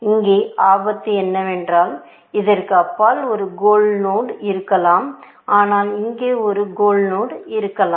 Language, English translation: Tamil, The danger here is that there may be a goal node, just beyond this, but there may be a goal node, here